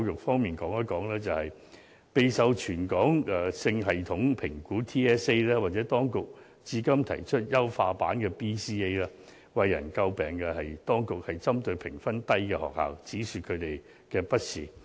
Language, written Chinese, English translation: Cantonese, 說到全港性系統評估，又或當局最近經優化後而提出的 BCA， 最為人詬病的是，當局會針對評分低的學校，只說它們的不是。, For both the Territory - wide System Assessment TSA and the Basic Competency Assessment Research Study BCA an improved version of TSA the public widely denounces the approach of the authorities to target at schools with low scores in the assessments